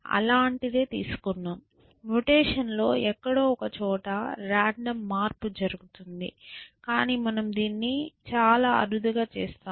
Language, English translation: Telugu, To create it to something like that, we have a random change somewhere in mutation, but we do it very rarely essentially